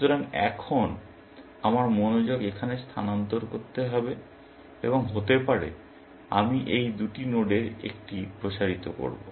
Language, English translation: Bengali, So, now, my attention must shift here, and maybe, I will expand one of these two nodes